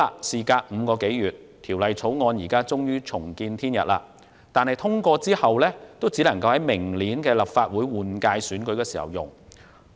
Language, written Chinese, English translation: Cantonese, 事隔5個多月，《條例草案》終於重見天日，但即使獲得通過，也只能在明年的立法會換屆選舉中應用。, The Bill is finally brought to light more than five months later . But even if it is passed it can only be applied to the Legislative Council General Election next year